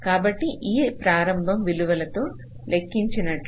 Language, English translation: Telugu, so these with these initial values, as have calculated